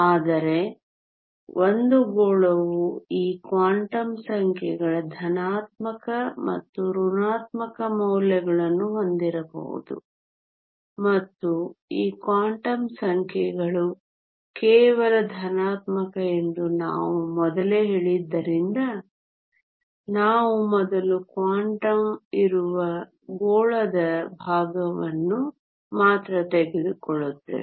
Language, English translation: Kannada, But since a sphere can have both positive and negative values of these quantum numbers and since we said earlier that these quantum numbers are only positive we only take the part of the sphere lying the first quadrant